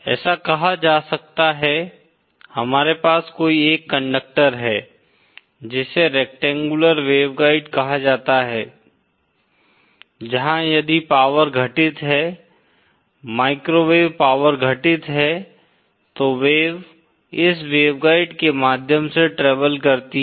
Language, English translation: Hindi, It can be say, we have their dress a certain conductor called a rectangular waveguide where if power is incident, microwave power is incident then the wave travels through this waveguide